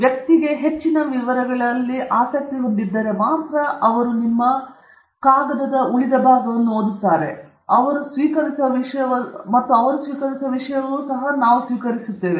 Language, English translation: Kannada, Only if a person is interested in more details they will read the rest of your paper, and that is something they accept, we also accept